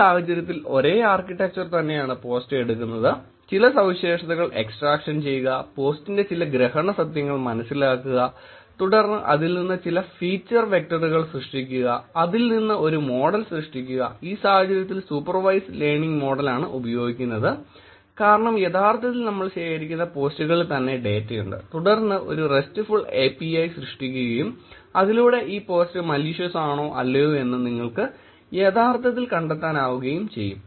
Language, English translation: Malayalam, In this case it is the same architecture which takes the post, do some feature extraction, do some ground truth understanding of the post, then creates some feature vectors out of it, create a model out of it, in this case supervised learning model because we actually have data from the posts that we are collecting and then create a RESTful API through which you can actually find out whether this post is malicious or not